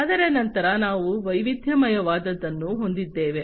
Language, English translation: Kannada, Thereafter, we have the diversified one